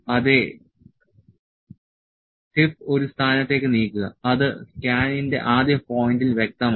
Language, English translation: Malayalam, Yes, move the tip to a position that is clear to the first point of the scan